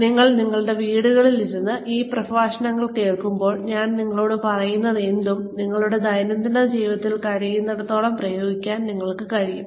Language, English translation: Malayalam, So that, you sitting in your homes, when you are listening to this set of lectures, you will be able to apply, whatever I am telling you, to your daily lives, as far as possible